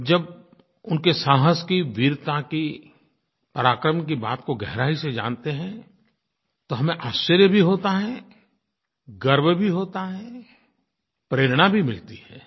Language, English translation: Hindi, When we get to know the in depth details of their courage, bravery, valour in detail, we are filled with astonishment and pride and we also get inspired